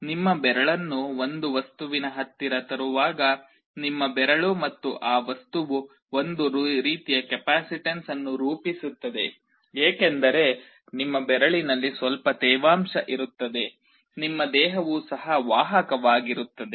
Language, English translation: Kannada, When you bring your finger close to a material, your finger and that material will form some kind of a capacitance because there will some moisture in your finger, your body is also conductive